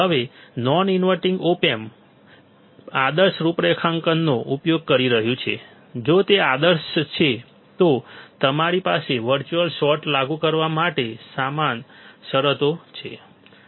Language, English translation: Gujarati, Now, the non inverting op amp is using ideal configurations, if it is ideal, then we have equal conditions to apply for virtual short